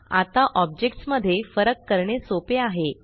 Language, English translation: Marathi, Now it is easy to discriminate between the objects